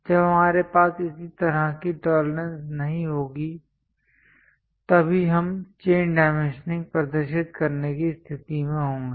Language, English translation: Hindi, When we do not have such kind of tolerances then only, we will be in a position to show chain dimensioning